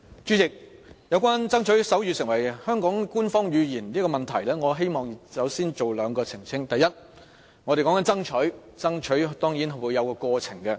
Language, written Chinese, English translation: Cantonese, 主席，有關"爭取手語成為香港官方語言"的問題，我希望先作出兩點澄清，第一，我們所說的是"爭取"，這當然是有其過程的。, President with regards to the question of Striving to make sign language an official language of Hong Kong I hope I can clarify two points in the very first place . Firstly as to striving that we are talking about of course it will go through a process